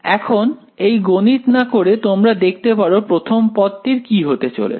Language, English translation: Bengali, Now, without actually doing all the math, you can see what will happen to the first term over here